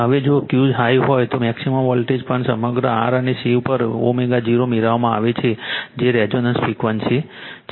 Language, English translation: Gujarati, Now, if Q is high, maximum voltage are also obtained across R and C at omega 0 that is your resonance frequency right